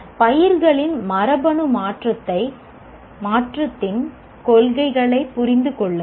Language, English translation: Tamil, This is an understand the principles of genetic modification of crops